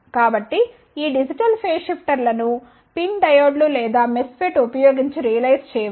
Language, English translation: Telugu, So, these digital phase shifters can be realized using pin diodes or MESFET